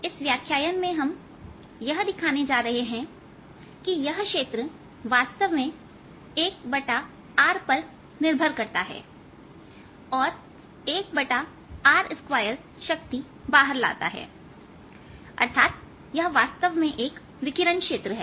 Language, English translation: Hindi, in this lecture we are going to show that this field indeed has a, an r dependence and carries out power that is one over r square, and then that means this is indeed radiation field